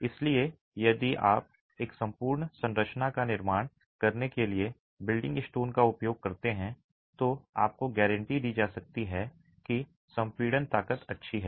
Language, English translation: Hindi, So if you use building stone to construct an entire structure, you can be guaranteed that the compressive strength is good